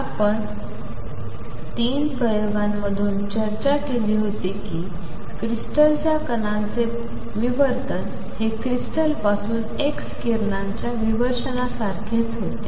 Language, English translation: Marathi, And 3 experiments that I had discussed was diffraction of particles from a crystal, which is similar to diffraction of x rays from a crystal